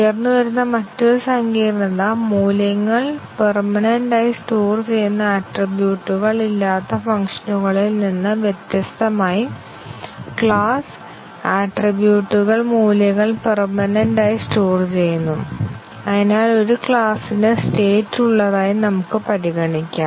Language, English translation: Malayalam, The other complicacy that arises is that unlike functions which do not have attributes permanently storing values, the class attributes store values permanently and therefore, we can consider a class to be having states